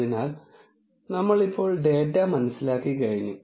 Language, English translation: Malayalam, So, since we have understood the data now